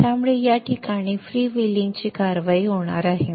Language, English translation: Marathi, So there will be a freewheeling action happening here